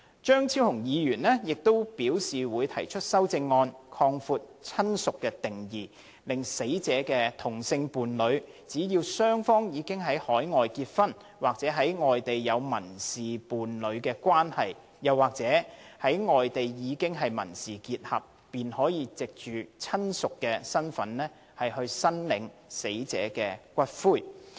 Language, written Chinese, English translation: Cantonese, 張超雄議員亦表示會提出修正案，擴闊"親屬"的定義，令死者的同性伴侶，只要雙方已在外地結婚，或在外地有民事伴侶關係、又或在外地經已民事結合，便可以"親屬"身份申索死者的骨灰。, Dr Fernando CHEUNG has also indicated that he would move a CSA to extend the definition of relative so that a deceased persons same - sex partner in a marriage civil partnership or civil union in any place outside Hong Kong is also eligible to claim for the return of the deceased persons ashes